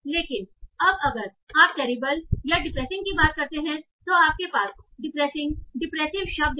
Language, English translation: Hindi, But now if you talk about terrible or depressing, so you have to depressing, depressed or depressing